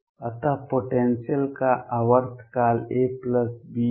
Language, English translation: Hindi, So, periodicity period of the potential is a plus b